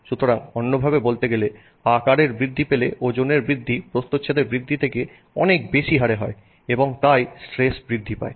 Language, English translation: Bengali, So, in other words as you increase the size, the rate at which the weight is increasing is faster than the rate at which the cross section is increasing and therefore the stress is increasing